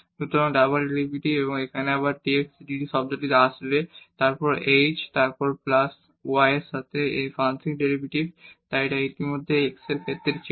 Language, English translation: Bengali, So, the double derivative and here again dx dt will term come then h then plus, the partial derivative of f with respect to y so it was already with respect to x